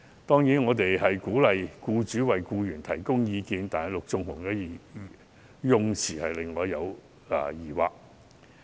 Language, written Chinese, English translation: Cantonese, 當然，我們鼓勵僱主為僱員提供培訓，但陸頌雄議員修正案的用詞卻令我有疑惑。, We do encourage employers to provide training to employees but I have reservation about the wording of Mr LUK Chung - hungs amendment